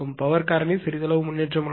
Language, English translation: Tamil, There is slight improvement of the power factor right